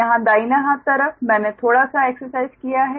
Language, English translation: Hindi, right that, that little bit exercise i have done on the right hand side here